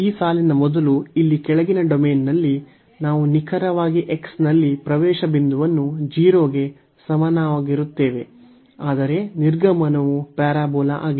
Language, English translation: Kannada, Before this line so, in this domain in the lower domain here, we have the entry point exactly at x is equal to 0, but the exit is the parabola